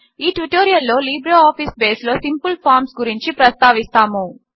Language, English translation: Telugu, In this tutorial, we will cover Simple Forms in LibreOffice Base